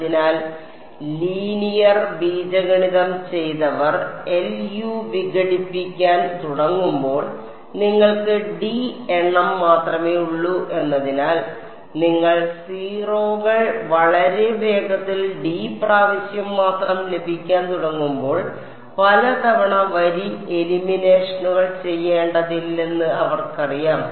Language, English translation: Malayalam, So, those of you have done linear algebra they you know that when you have only d number of off diagonal elements when you start doing LU decomposition, you do not have to do row eliminations many many times you start getting 0’s very quickly only d times you have to do